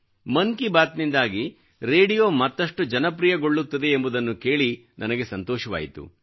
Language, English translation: Kannada, I am overjoyed on account of the fact that through 'Mann Ki Baat', radio is rising as a popular medium, more than ever before